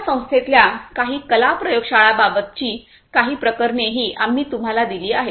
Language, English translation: Marathi, We have also given you some of the cases about some state of the art laboratories in our institute